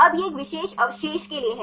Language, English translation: Hindi, Now, this is for a particular residue